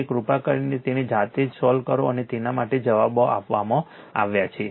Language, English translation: Gujarati, So, please solve it for yourself answers are given for this one right